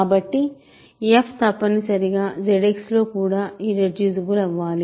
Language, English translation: Telugu, So, f X is also irreducible